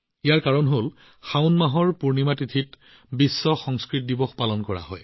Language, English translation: Assamese, The reason for this is that the Poornima of the month of Sawan, World Sanskrit Day is celebrated